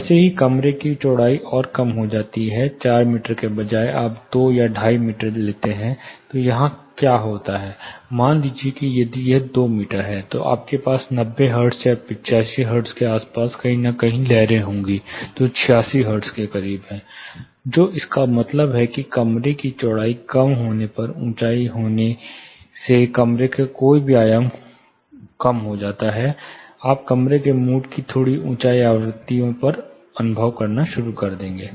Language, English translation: Hindi, 5 meter, then what happens here; say if it is 2 meter you will have standing waves forming somewhere around 90 hertz 85 hertz, somewhere close to 86 hertz you will have standing wave, which means as the room width comes down, or the height comes down, any dimension of the room comes down, we will start experiencing room modes at slightly higher frequencies